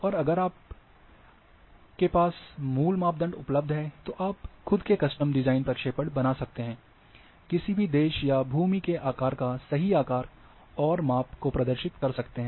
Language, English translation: Hindi, And also if if you are having basic information basic parameters available to you, you too can create your own custom design projection, to represent a particular country or land mass in it’s true shape and size